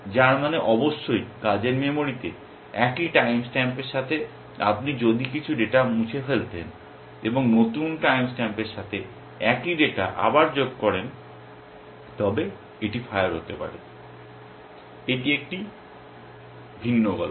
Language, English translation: Bengali, Which means of course, with the same time stamps in the working memory if you were to delete some data and add the same data again with a new time stamp then it could fire, that is a different story